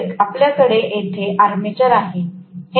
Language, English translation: Marathi, So, we have actually the armature here